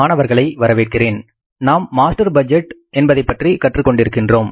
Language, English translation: Tamil, So, we are in the process of learning about the master budget